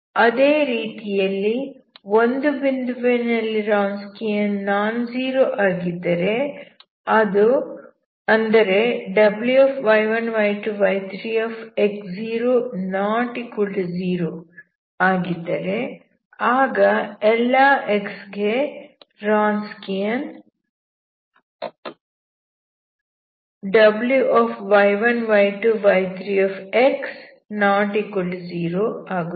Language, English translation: Kannada, Similarly if the Wronskian is non zero at some point, W ( y1, y2, y3 )≠0 then the Wronskian W ( y1, y2, y3 ) ≠0 for∀ x